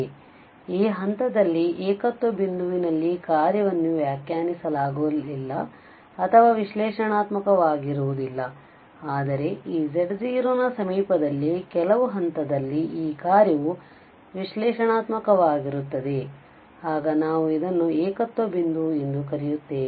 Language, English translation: Kannada, So, at this point, singular point either the function is not defined or it is not analytic but in the neighbourhood of this z0 at some point this function is analytic then we call that this is a singular point